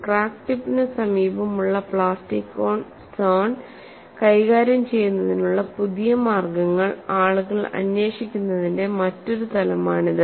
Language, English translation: Malayalam, So, this is another dimension why people were looking for newer ways of handling the plastic zone near the crack tip